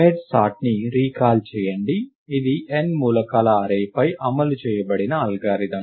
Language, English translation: Telugu, Recall merge sort; it was it is an algorithm implemented on an array of n elements